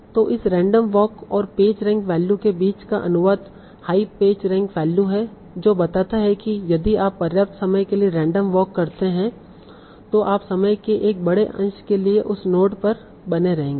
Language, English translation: Hindi, So the translation between this random walk and this page ring value is a high page ring value indicates that if you do a random walk for sufficiently long number of time you will stay on that note for a larger fraction of time